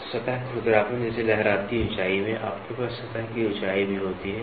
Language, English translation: Hindi, So, the in a surface roughness, you also like waviness height, you also have surface height